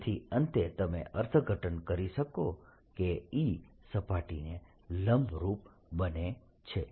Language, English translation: Gujarati, so finally, you interpreting e becoming perpendicular to the surface